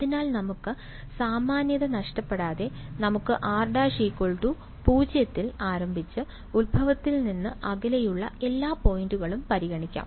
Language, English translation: Malayalam, So, we will without any loss of generality, so w l o g without loss of generality, we can start with r prime equal to 0 and consider all points which are away from the origin ok